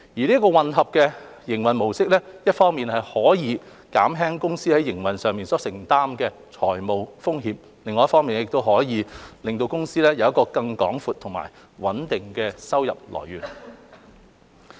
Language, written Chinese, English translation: Cantonese, 這個混合營運模式一方面可以減輕公司在營運上所承擔的財務風險，另一方面亦可令公司有更廣闊和穩定的收入來源。, Such new mixed mode of operation can lower OPCs financial risk in operation on the one hand and enable OPC to have a broader and more stable income source on the other